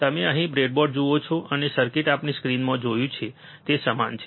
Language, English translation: Gujarati, you see the breadboard here, and the circuit is similar to what we have seen in the screen